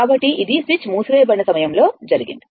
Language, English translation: Telugu, So, at the time of switch is closed, right